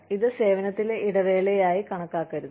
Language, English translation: Malayalam, This should not be counted, as a break in service